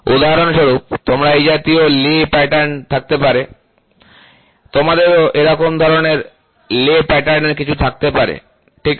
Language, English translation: Bengali, For example; you can have a lay pattern like this, you can have lay pattern like this, you can also have lay pattern something like this, ok